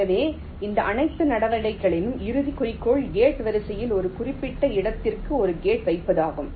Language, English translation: Tamil, so ultimate goal of all these steps will be to place a gate in to a particular location in the gate array